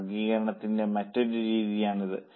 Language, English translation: Malayalam, That is one way of classifying